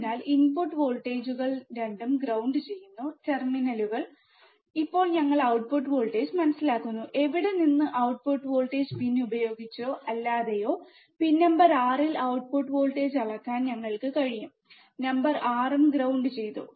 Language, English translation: Malayalam, So, with the input voltages are ground both the terminals are grounded ok, now we are understanding output voltage, from where output voltage, we can measure the output voltage at pin number 6 with or between pin number 6 and ground